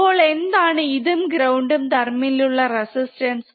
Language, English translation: Malayalam, So, what is the resistance between this and ground